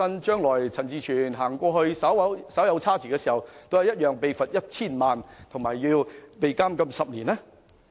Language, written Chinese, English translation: Cantonese, 將來如果陳志全議員在當地稍為行差踏錯，是否亦同樣會遭罰款 1,000 萬元及監禁10年？, If Mr CHAN Chi - chuen steps a bit out of line on the Mainland in the future will he also be liable to a fine of 10,000,000 and to imprisonment for 10 years?